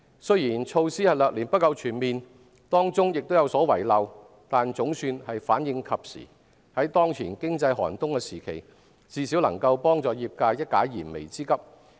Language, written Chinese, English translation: Cantonese, 儘管措施略嫌不夠全面，當中有所遺漏，但總算反應及時，在當前經濟寒冬時期，最少能夠幫助業界一解燃眉之急。, Although the measures are not comprehensive enough and there are some omissions the response is timely as a whole . In the economic winter at present it can at least help the industry solve some urgent needs